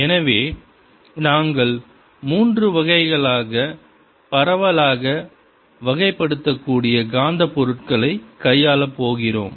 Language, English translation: Tamil, so we are going to deal with magnetic materials, which can be broadly classified into three kinds